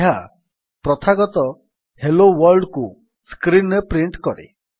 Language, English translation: Odia, This prints the customary Hello World message on the screen